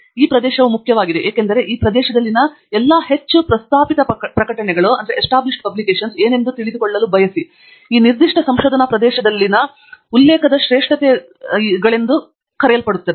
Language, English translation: Kannada, This is important because you may want to know what are all the most refereed publications in this area, what are the so called citation classics in this particular research area